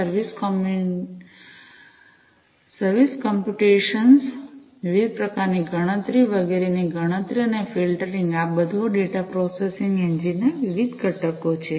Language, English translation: Gujarati, Service computation, calculation of different types of computation etcetera and filtering all of these are different components of this data processing engine